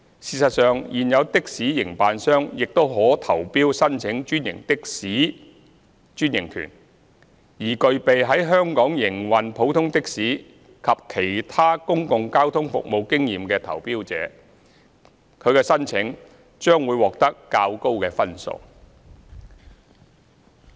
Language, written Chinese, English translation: Cantonese, 事實上，現有的士營辦商亦可投標申請專營的士專營權，而具備在香港營運普通的士及其他公共交通服務經驗的投標者，其申請將會獲得較高分數。, As a matter of fact existing taxi operators may also bid for the franchises for franchised taxi services . Applications from tenderers with experience in operating ordinary taxis and other public transport services in Hong Kong will be awarded a higher score